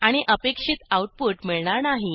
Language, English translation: Marathi, And you will not get expected output